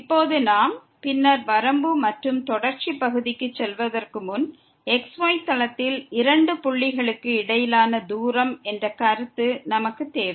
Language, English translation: Tamil, Now, before we move to the limit and continuity part later on, we need the concept of the distance between the two points in plane